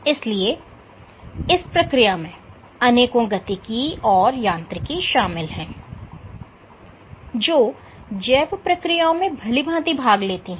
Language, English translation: Hindi, So, there is lot of dynamics or mechanics at play which is participating in the biological process at well